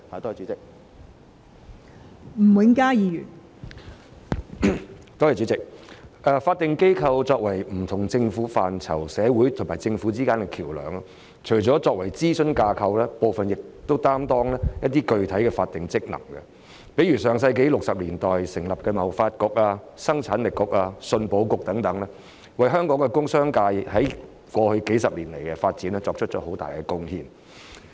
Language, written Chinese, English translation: Cantonese, 代理主席，法定機構在不同政策範疇中擔當社會與政府之間的橋樑，除了作為諮詢架構外，部分組織亦發揮具體的法定職能，例如在上世紀60年代成立的香港貿易發展局、生產力促進局和出口信用保險局等，在過去數十年為香港工商界的發展作出了很大貢獻。, Deputy President statutory bodies act as a bridge between the community and the Government in different policy areas . Apart from serving as an advisory framework some of them discharge specific statutory functions . For example the Hong Kong Trade Development Council the Hong Kong Productivity Council and the Hong Kong Export Credit Insurance Corporation which were established in 1960s in the last century have made tremendous contributions to the development of the industrial and commercial sectors in Hong Kong over the past decades